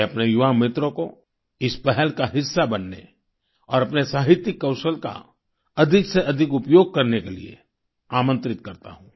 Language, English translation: Hindi, I invite my young friends to be a part of this initiative and to use their literary skills more and more